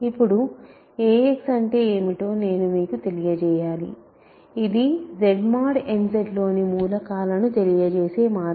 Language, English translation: Telugu, So, now, I need to let you what is ax, remember Z mod n Z one way of representing elements of Z mod n Z is this